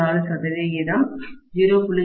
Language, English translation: Tamil, 04 percent, 0